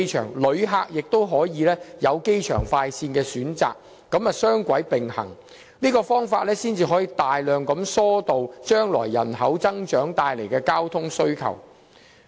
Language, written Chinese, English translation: Cantonese, 同時，旅客也可選乘機場快線，以此"雙軌並行"的方法，大量疏導將來人口增長帶來的交通需求。, This two - pronged approach will greatly alleviate the traffic needs arising from the growing population in the future